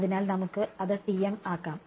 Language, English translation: Malayalam, So and lets make it TM